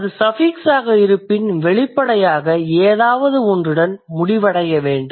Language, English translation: Tamil, When it is suffix, so obviously something has to end with that or something comes